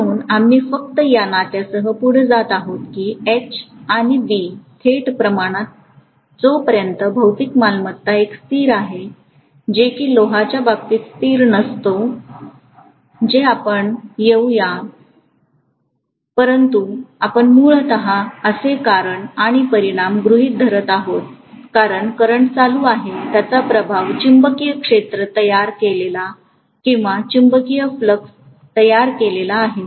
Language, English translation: Marathi, So we are just going ahead with the relationship that H and B are directly proportional to each other as long as the material property is a constant, which is not a constant in the case of iron, which we will come to but we are essentially assuming that the cause and effect, the cause is the current that is flowing, the effect is the magnetic field created or magnetic flux created